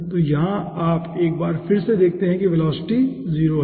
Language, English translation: Hindi, so here you see, once again, the velocity is 0